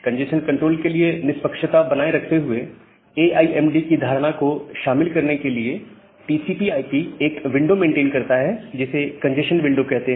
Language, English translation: Hindi, So, to incorporate this notion of AIMD for congestion control, while maintaining fairness; TCP maintains a window, which is called a congestion window